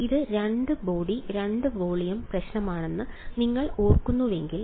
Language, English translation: Malayalam, If you remember this was the two body 2 volume problem